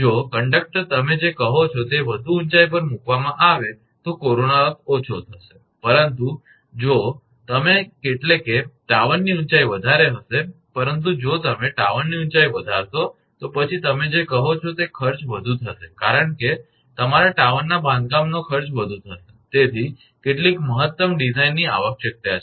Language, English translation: Gujarati, Corona loss will be less if conductors are placed your what you call at more height, but if you that means, the tower height will be more, but if you increase the tower height, then your what you call the cost will be more because construction of the your tower of the cost will be higher, so some optimum design is required